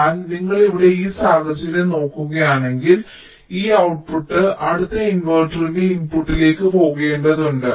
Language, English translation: Malayalam, so this output has to go to the input of the next inverter